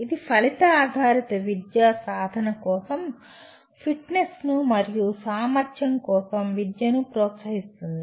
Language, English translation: Telugu, It makes outcome based education promotes fitness for practice and education for capability